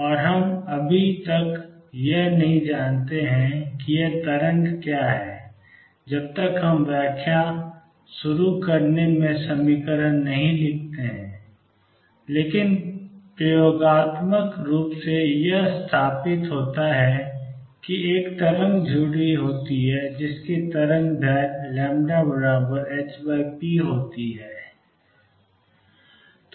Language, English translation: Hindi, And we do not yet know what this wave is until we write equation in start interpreting, but experimentally it is established that there is a wave associated which has a wavelength lambda which is h over p